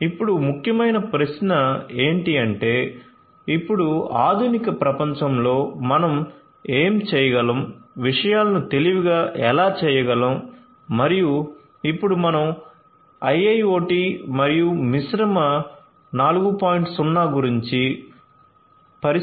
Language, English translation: Telugu, So, now the question is that it is important, but now in the modern world how you can make things smarter and now that we are talking about IIoT and Industry 4